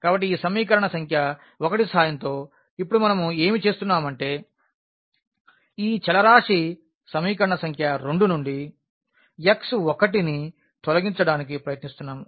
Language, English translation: Telugu, So, here what we are doing now with the help of this equation number 1, we are trying to eliminate this x 1 variable from the equation number 2